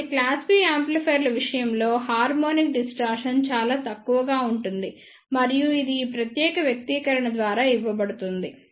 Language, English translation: Telugu, So, the harmonic distortion will be relatively less in case of class B amplifiers and this will be given by this particular expression